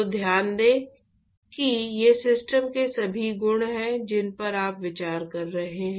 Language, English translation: Hindi, So, note that these are all the properties of the system that you are considering